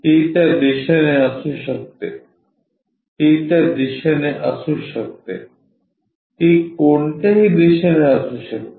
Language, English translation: Marathi, It can be in that direction, it can be in that direction, it can be in any direction